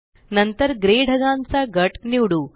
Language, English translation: Marathi, Next, let us select the gray cloud group